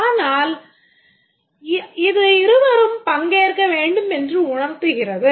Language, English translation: Tamil, But here the implication is that both need to participate